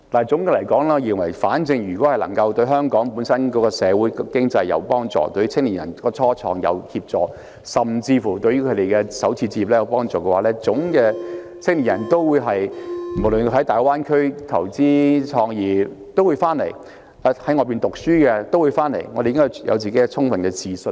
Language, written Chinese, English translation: Cantonese, 總結來說，我認為只要政府的措施能對香港社會經濟有幫助，對青年人創業有幫助，甚至對他們首次置業有幫助，無論是在大灣區投資創業或在外求學的青年人都會回來，我們應該對香港有充分的自信。, To sum up if the Governments measures can facilitate the development of our society and economy the entrepreneurship of young people and even the purchase of starter homes by young people I believe that young people who start business in the Greater Bay Area or who pursue studies overseas will return to Hong Kong . We should have full confidence in Hong Kong